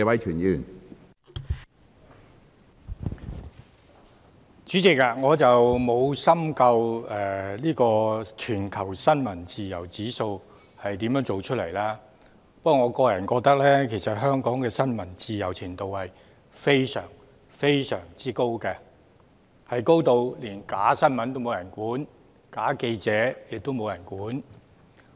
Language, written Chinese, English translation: Cantonese, 主席，我沒有深究全球新聞自由指數是如何得出來的，不過，我個人認為香港的新聞自由度非常非常高，高至連假新聞也沒人管、假記者也沒人管。, President I have not studied in depth how the World Press Freedom Index is worked out but I personally think that the degree of press freedom is very very high in Hong Kong . The degree of freedom is so high that even fake news is not under any control; not even fake reporters are under any control